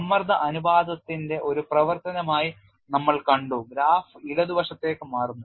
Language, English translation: Malayalam, We have seen as a function of stress ratio the graph get shifted to the left